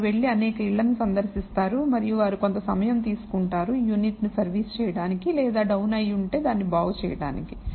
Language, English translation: Telugu, They go visit several houses and they take a certain amount of time to kind of service the unit or repair it if it is down